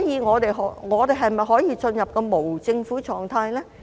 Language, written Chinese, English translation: Cantonese, 我們可否進入無政府狀態？, Can Hong Kong be in an anarchic state?